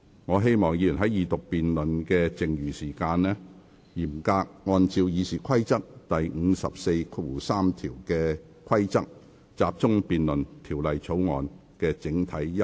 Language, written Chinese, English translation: Cantonese, 我請議員在二讀辯論的餘下時間，嚴格按照《議事規則》第543條的規定，集中辯論《條例草案》的整體優劣及原則。, I urge Members to strictly follow the rule in RoP 543 in the remaining time of the Second Reading debate and focus their debate on the general merits and the principles of the Bill